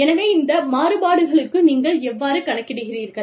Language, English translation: Tamil, So, how do you, account for these variations